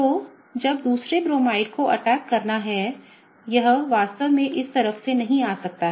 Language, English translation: Hindi, So, when the Bromide ion; the other Bromide has to attack, it cannot really come from this side